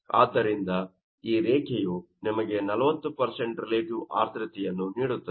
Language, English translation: Kannada, So, this is your percentage of relative humidity